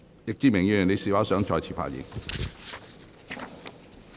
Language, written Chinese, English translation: Cantonese, 易志明議員，你是否想再次發言？, Mr Frankie YICK do you wish to speak again?